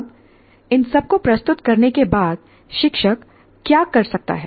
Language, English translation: Hindi, Now having presented all this, what exactly, what can the teacher do